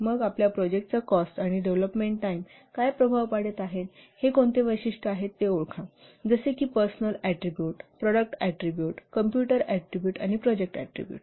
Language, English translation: Marathi, Then identify what are the attributes they are affecting the cost and development time for your project, such as personal attributes, product attributes, computer attributes, and project attributes